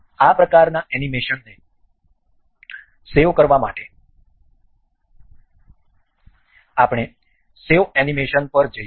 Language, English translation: Gujarati, To save this kind of animation, we will go with save animation